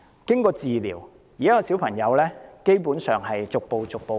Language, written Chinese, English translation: Cantonese, 經過治療，現時小朋友基本上已逐步康復。, After treatment the child has basically recovered now